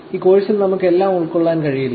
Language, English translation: Malayalam, We can't cover everything in this course